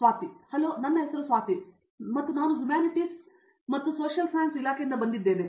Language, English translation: Kannada, Hello my name is Swathi and I am from the Department of Humanities and Social Sciences